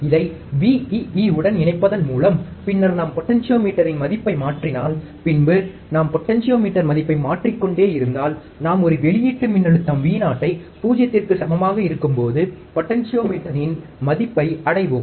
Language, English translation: Tamil, By connecting this to Vee and then if I change the potentiometer value, if I keep on changing the potentiometer value, I will reach a value of the potentiometer when the output voltage Vo equals to 0